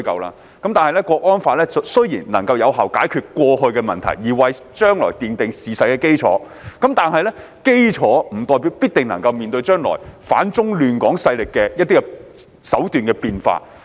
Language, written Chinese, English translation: Cantonese, 《香港國安法》雖然能有效解決過去的問題，為今後的處理奠定基礎，但這並不代表它必定能應對反中亂港勢力將來在手段上的變化。, Although HKNSL can effectively address problems in the past and provide a basis for handling such issues in the future this does not imply that it can definitely cope with the changes in strategy by the forces that oppose China and disrupt Hong Kong in the future